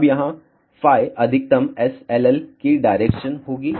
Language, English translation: Hindi, Now, here phi will be the direction of maximum SLL